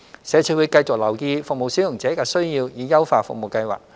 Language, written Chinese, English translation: Cantonese, 社署會繼續留意服務使用者的需要以優化服務計劃。, SWD will continue to take into account the needs of service users in order to improve the service